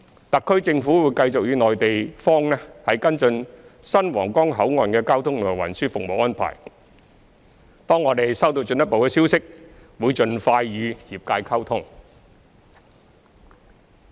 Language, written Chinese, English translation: Cantonese, 特區政府會繼續與內地方跟進新皇崗口岸的交通及運輸服務安排，當我們收到進一步消息，會盡快與業界溝通。, The SAR Government will continue to follow up the transport and traffic service arrangements for the new Huanggang Port with the Mainland . After receiving further information we will expeditiously communicate with the relevant industries